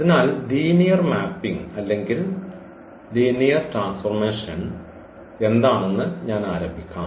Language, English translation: Malayalam, So, let me start with what is linear mapping or linear transformation